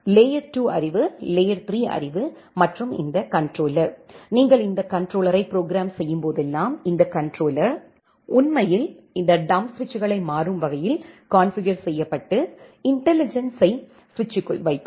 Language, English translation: Tamil, Neither layer 2 knowledge, non layer 3 knowledge and this controller, whenever you are programming this controller, this controller will actually configure this dumb switches dynamically, put the intelligence inside the switch